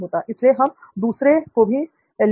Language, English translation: Hindi, So yes we will take that other point